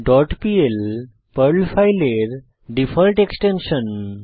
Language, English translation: Bengali, dot pl is the default extension of a Perl file